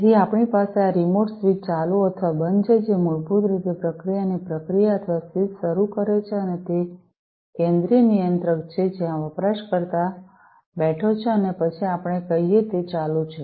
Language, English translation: Gujarati, So, we have this remote switch on or off, which basically starts the process or switches of the process and that is from that central controller where the user is sitting and then let us say, that it is switched on, right